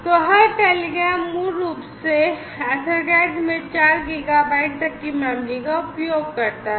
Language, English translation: Hindi, So, every telegram basically utilizes the memory up to 4 gigabytes in size in EtherCat